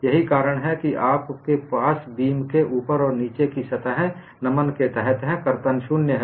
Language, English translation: Hindi, That is the reason why you have on the top and bottom surfaces of the beam under bending, shear is 0